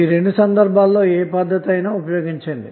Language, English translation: Telugu, Now in both of these cases you can use any one of the method